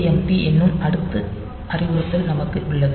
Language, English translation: Tamil, So, we can have this this AJMP next instruction